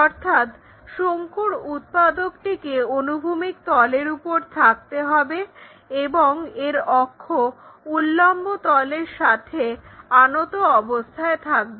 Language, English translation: Bengali, So, a cone generator has to be on the horizontal plane and its axis appears to be inclined to vertical plane